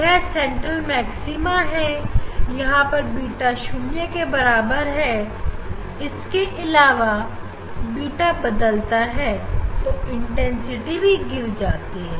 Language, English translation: Hindi, this is the central maxima we tell this is the central maxima for beta equal to 0 and then beta is varying; this intensity drastically falling